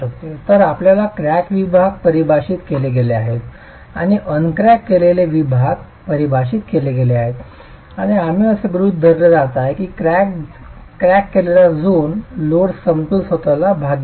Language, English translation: Marathi, So you've got cracked sections defined and the uncracked sections defined and we are going to be assuming that the cracked zone is not going to participate in the load equilibrium itself